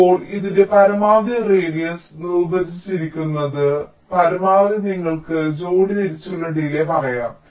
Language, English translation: Malayalam, now the maximum of this that is defined as the radius maximum, you can say pair wise delay